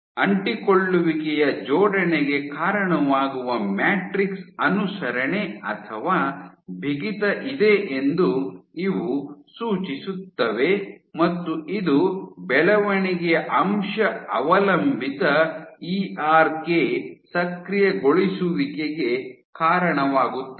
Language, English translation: Kannada, So, these suggest that you have matrix compliance or stiffness leads to adhesion assembly, and this leads to growth factor dependent ERK activation